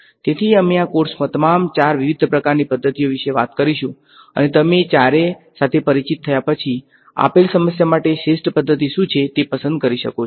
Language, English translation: Gujarati, So, we will talk about all four different kinds of methods in this course and after you are familiar with all four, then you can choose for a given problem what is the best candidate